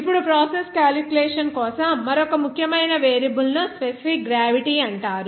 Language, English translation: Telugu, Now, another important variable for the process calculation it is called specific gravity